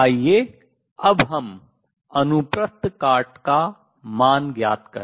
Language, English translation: Hindi, Let us now estimate the value of cross section sigma